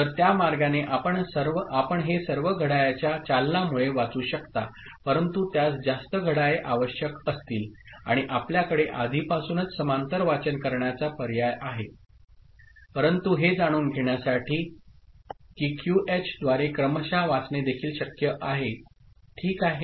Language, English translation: Marathi, So, that way also, you can read all of them by triggering of the clock, but it will require more number of clocks and you already have the option of parallel reading ok, but to know that it is also possible to serially read it through QH, fine